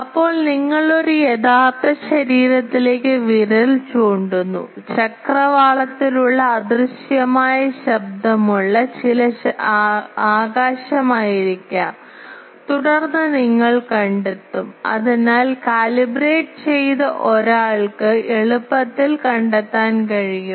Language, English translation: Malayalam, Then, you point to an actual body may be a ground, may be a some the sky which is at horizon which is of invisible noise and then you find out, so a calibrated one can easily find out